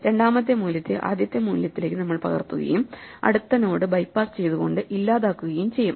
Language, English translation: Malayalam, So, we copy the second value into the first value and we delete the next node by bypassing